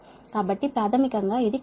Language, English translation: Telugu, so basically it is cosine of this thing